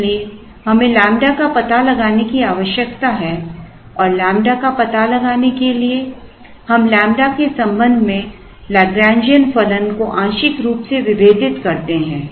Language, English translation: Hindi, So, we need to find out lambda and in order to find out lambda we partially differentiate L, the Lagrangian function with respect to lambda